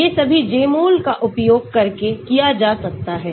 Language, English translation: Hindi, all these can be done using Jmol